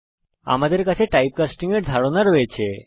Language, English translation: Bengali, We now have the concept of typecasting